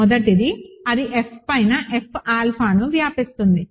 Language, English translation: Telugu, First is that it spans, it spans F alpha over F